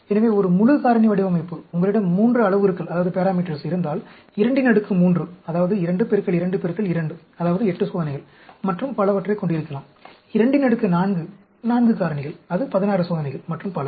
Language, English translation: Tamil, So, a full factorial design may have, if you have 3 parameters, 2 raised to the power 3, that means, 2 into 2 into 2, that is 8 experiments, and so on actually; 2 power 4, 4 factors, that will be 16 experiments, and so on